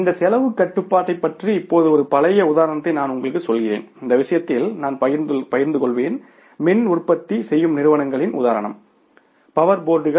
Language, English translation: Tamil, Now I will tell you one classical example about this cost control and in this case we will share the, I will discuss this example of the power generating companies, right